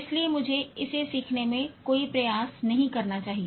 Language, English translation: Hindi, So let me not even take any effort in learning this